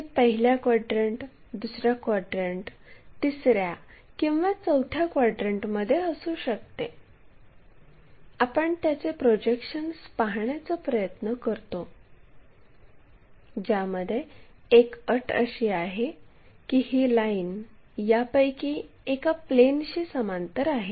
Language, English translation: Marathi, Whether, it might be in the first quadrant, second quadrant, third or fourth quadrant, we try to look at its projections where one of the condition is the line is parallel to one of the planes